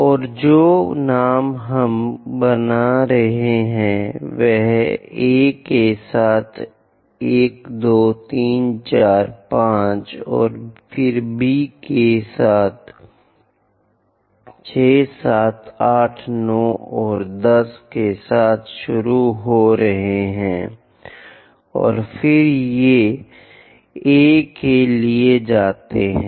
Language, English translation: Hindi, And the names what we are making is beginning with A all the way to 1, 2, 3, 4, 5, and again B starting with 6, 7, 8 and 9 and 10, and again it goes to A